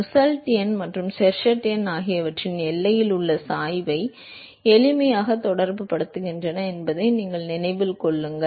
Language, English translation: Tamil, You remember that Nusselt number and Sherwood number simply relates the gradient at the boundary